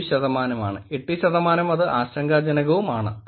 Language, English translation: Malayalam, 7 percent; 8 percent has it is a concern